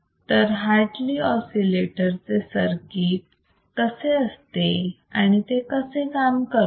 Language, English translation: Marathi, So, in case of Hartley oscillator what is athe circuit and how does it work